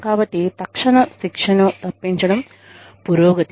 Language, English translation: Telugu, So, avoiding immediate punishment, a progress